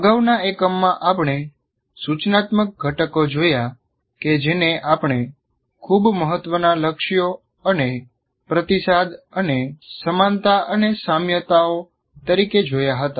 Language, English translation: Gujarati, So let us look at, in the previous one, we looked at instructional components that the what we consider very important, goals and feedback and analogies and similes